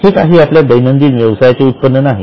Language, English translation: Marathi, It is not a income from our regular business